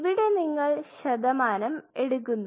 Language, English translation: Malayalam, So, now, you have some percentage